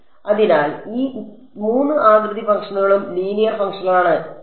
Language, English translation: Malayalam, So, all of these 3 shape functions are linear functions ok